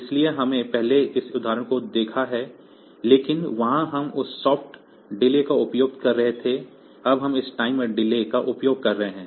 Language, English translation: Hindi, So, we have seen previously this example, but there we were using that soft delays, now we are now here we will be using this timer delays